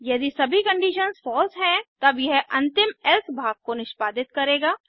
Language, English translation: Hindi, If all the conditions are false, it will execute the final Else section